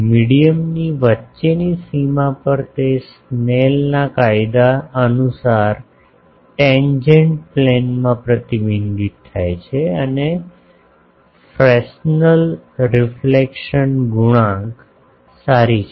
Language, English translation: Gujarati, At a boundary between medium they are reflected or refracted at the tangent plane according to Snell’s law and the fresnel reflection coefficient holds good